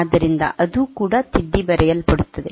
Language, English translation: Kannada, So, that will also get overwritten